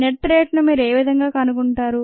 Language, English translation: Telugu, how do you find the net rate